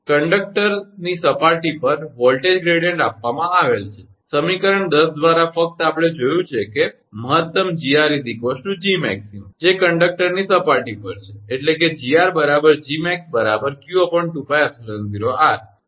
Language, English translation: Gujarati, The voltage gradient at the conductor surface is given, by from equation 10 only we have seen that is that maximum Gr is equal to Gmax that is at the surface of the conductor, that is q upon 2 pi epsilon 0 r